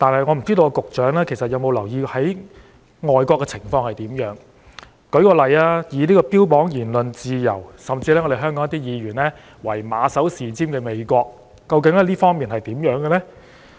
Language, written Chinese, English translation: Cantonese, 我不知道局長有否留意外國的情況，例如標榜言論自由，甚至香港有些議員以它為馬首是瞻的美國，究竟在這方面是怎樣的呢？, I wonder if the Secretary has noticed the situations in foreign countries . For example in the United States which brags about freedom of speech and is even regarded by some Members as their guide what is the actual situation in this respect?